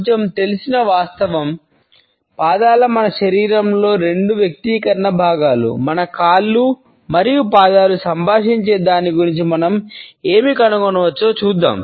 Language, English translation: Telugu, It is a little known fact that the feet are two of the most expressive parts of our bodies; let us see what we can discover about what our feet and legs communicate